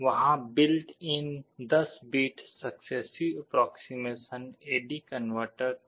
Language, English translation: Hindi, There was a built in 10 bit successive approximation A/D converter